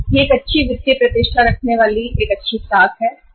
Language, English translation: Hindi, This is a good creditworthy firm having a good financial reputation